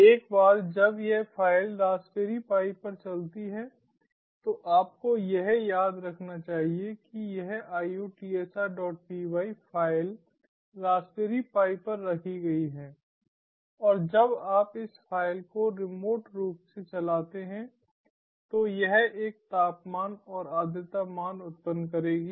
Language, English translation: Hindi, ah, you must remember this iot sr dot py file is kept on the raspberry pi and when you remotely run this file it will generate a temperature and humidity value